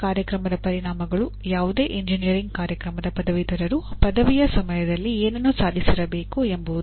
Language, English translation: Kannada, Program outcomes are what graduates of any engineering program should attain at the time of graduation